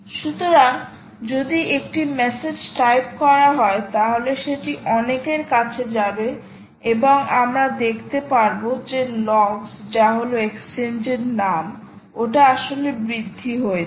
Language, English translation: Bengali, so if she types a message here, it should go to many and we should see the logs, ah, name of the exchange, actually incrementing that